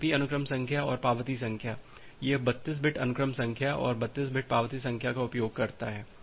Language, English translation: Hindi, The TCP sequence number and acknowledgement number it uses 32 bits sequence number and 32 bit acknowledgement number